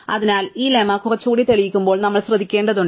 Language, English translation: Malayalam, So, we would have to be careful when we prove this lemma a little bit